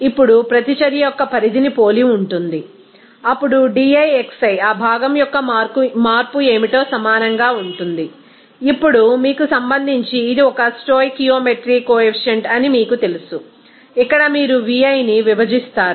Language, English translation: Telugu, Now, similar to the extent of reaction is then defined as di xi will be equal to what will be the change of that component i, now with respect to you know it is a stoichiometry coefficient that will be divided by you know here nui